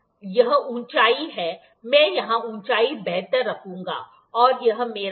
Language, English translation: Hindi, This is height, I will better put the height here, and this is my hypotenuse, ok